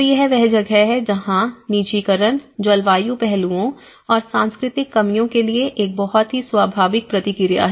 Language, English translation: Hindi, So, that is where in any response personalization is a very natural response to either to climate aspects and as well as the cultural deficiencies